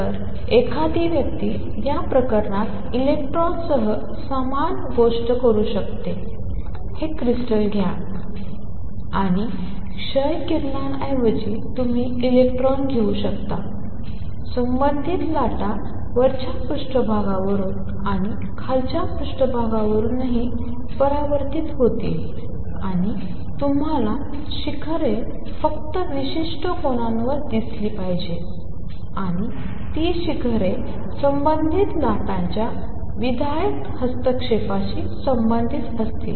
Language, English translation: Marathi, So, one could do the same thing with electrons what one would do in this case is take these crystals and instead of x rays you let electrons come in and the associated waves will also be reflected from the top surface and the bottom surface, and you should see peaks only at certain angles and those peaks will correspond to the constructive interference of the associated waves